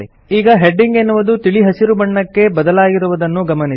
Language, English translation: Kannada, So you see that the heading is now green in color